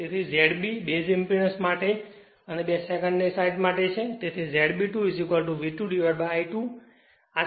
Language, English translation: Gujarati, So, Z B stands for your base impedance and 2 stands for secondary side so, Z B 2 is equal to V 2 upon I 2